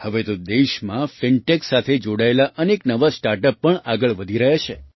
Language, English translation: Gujarati, Now many new startups related to Fintech are also coming up in the country